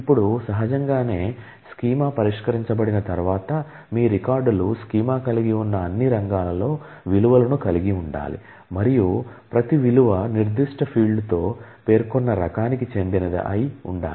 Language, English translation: Telugu, Now, naturally once the schema is fixed, your records will need to have values in all of those fields that the schema has; and every value must be of the type that the particular field is specified with